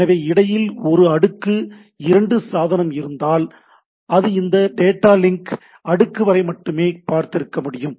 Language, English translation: Tamil, So, if there is a layer 2 device in between, then it will can it could have seen only up to this data link layer